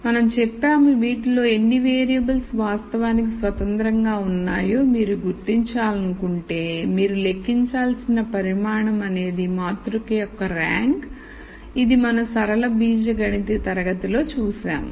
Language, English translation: Telugu, We said if you want to identify how many of these variables are actually independent the quantity that you should compute is the rank of the matrix which is what we saw in the linear algebra class